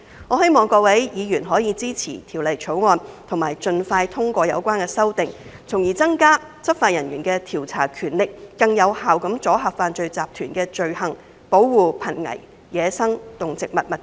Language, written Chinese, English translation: Cantonese, 我希望各位議員可以支持《條例草案》，盡快通過有關的修訂，從而增加執法人員的調查權力，更有效地阻嚇犯罪集團的罪行，保護瀕危野生動植物物種。, I hope that Members will support the Bill and expeditiously endorse the relevant amendments so as to strengthen the investigation powers of law enforcement officers thereby deterring criminal syndicates from committing crimes and protecting endangered species of wild animals and plants more effectively